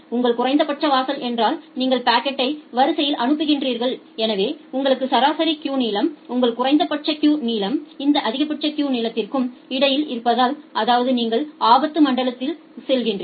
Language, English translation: Tamil, So, you enqueue the packet if your minimum threshold, if your average queue length is in between this minimum threshold and the maximum threshold; that means, you are going to the danger zone